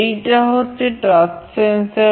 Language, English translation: Bengali, This is the touch sensor